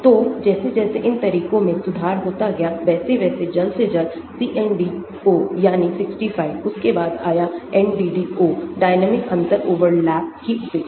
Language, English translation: Hindi, so as the time goes improvements on these methods were developed but the earliest is CNDO that is the 65 , then came NDDO; neglect of diatomic differential overlap